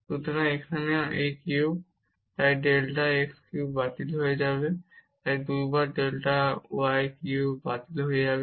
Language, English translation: Bengali, So, here also this cube, so this delta x cube will get cancelled 2 times delta y cube will get cancel